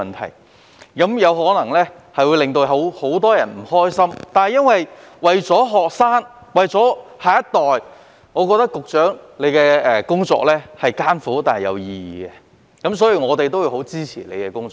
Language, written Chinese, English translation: Cantonese, 他的工作可能會令很多人不開心，但為了學生及下一代着想，局長的工作是艱苦但有意義的，所以我們十分支持他的工作。, His work which may have made many people unhappy is done in the interest of our students and the next generation . The Secretarys work is hard but meaningful and it has our full support